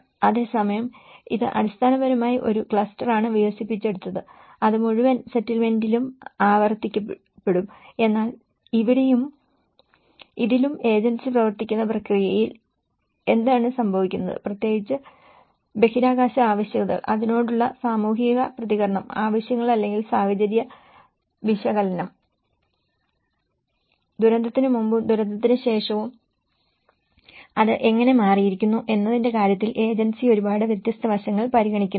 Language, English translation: Malayalam, Whereas the replication, it is basically a cluster has been developed and that would be replicated in the whole settlement but here in this and this in the agency driven process what happens is you the agency will not consider a lot of differential aspects especially, in terms of space requirements, the communal response to it and the needs or the situational analysis, how it has changed before disaster and after disaster